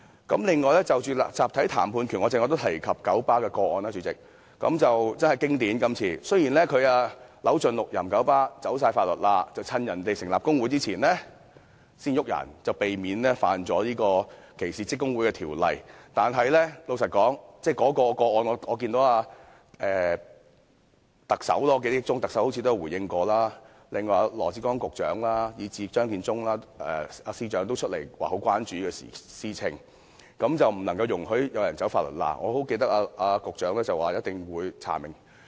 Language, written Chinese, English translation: Cantonese, 此外，有關集體談判權，我剛才也提到九巴的個案，這次事件真的相當經典，九巴固然扭盡六壬地想"走法律罅"，趁員工成立工會前解僱有關車長，以免違反歧視職工會的條例，但對於這宗個案，我記憶中特首好像也有作出回應，而羅致光局長以至張建宗司長也有出來表示關注，說不容許有人"走法律罅"，我記得局長說一定會查明。, This incident is indeed most typical . KMB certainly wanted to exploit the loopholes in law by hook or by crook and intended to sack the bus captains concerned prior to their setting up a workers union in order not to break the law on discrimination against trade unions . With regard to this case I remember that the Chief Executive seemed to have given a response while Secretary Dr LAW Chi - kwong and even Chief Secretary for Administration Matthew CHEUNG also came forth to express concern stressing intolerance of people exploiting the loopholes in law